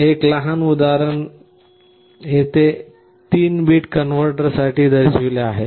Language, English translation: Marathi, One small example is shown here for a 3 bit converter